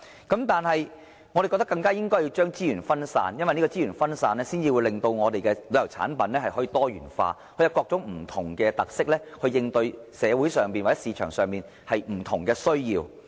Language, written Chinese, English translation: Cantonese, 但是，我們更應將資源分散，令旅遊產品多元化，以各種不同特色來應對社會上或市場上不同的需要。, However we should further disperse our resources to diversify our tourism products with different characteristics to cater for the needs in society or the market